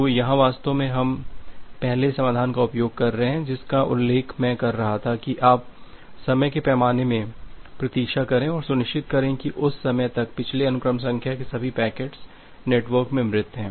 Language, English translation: Hindi, So, here actually we are utilizing the first solution that I was mentioning that you wait in the time scale and ensure that by that time all the instances of the previous sequence number is dead from the network